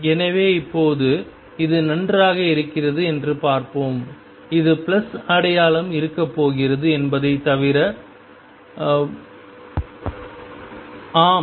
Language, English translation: Tamil, So, let us see now this is perfectly fine, this is except that the sign is going to be plus, yes